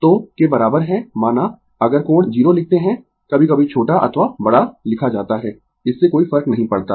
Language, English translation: Hindi, So, I is equal to say if we write I angle 0 sometimes we are writing small I or capital I it does not matter, this is your I right